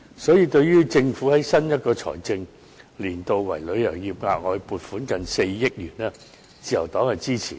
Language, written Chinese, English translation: Cantonese, 因此，對於政府在新一個財政年度為旅遊業額外撥款接近4億元，自由黨是支持的。, Therefore the Liberal Party welcomes the Governments proposal to allocate an additional sum of nearly 400 million to support the tourism industry